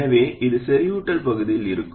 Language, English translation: Tamil, So this will be in saturation region